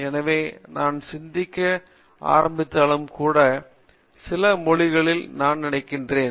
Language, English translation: Tamil, So, even if I start thinking I think in some language